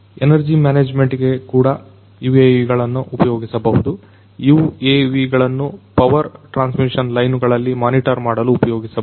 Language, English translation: Kannada, For energy management also UAVs could be used; UAVs could be used to monitor the power transmission lines